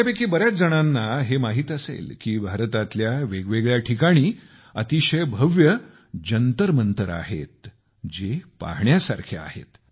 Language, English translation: Marathi, Many of you might be aware that at various places in India, there are magnificent observatories Jantar Mantars which are worth seeing